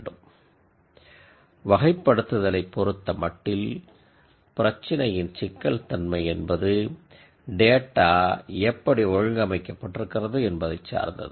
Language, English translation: Tamil, Now from a classification view point, the complexity of the problem typically depends on how the data is organized